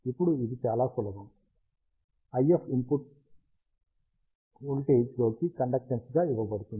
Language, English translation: Telugu, Now, it is very simple, the IF output is given as the conductance into the input voltage